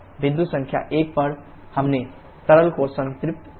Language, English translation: Hindi, At point number 1 we have saturated liquid